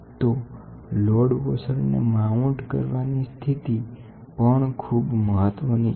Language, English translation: Gujarati, The position of mounting, mounting the washer is also very important